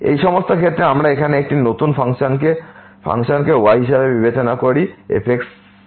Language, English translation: Bengali, In all these cases we consider a new function here y as power this one